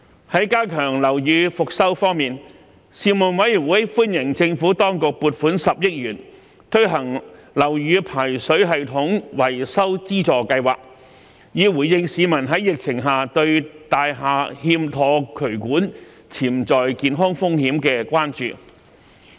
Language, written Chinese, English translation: Cantonese, 在加強樓宇復修方面，事務委員會歡迎政府當局撥款10億元推行樓宇排水系統維修資助計劃，以回應疫情下市民對大廈內欠妥渠管的潛在健康風險的關注。, On strengthening building rehabilitation the Panel welcomed the Administrations allocation of 1 billion for the Building Drainage System Repair Subsidy Scheme to address the public concerns on the potential health risks arising from defective drains in buildings amid the pandemic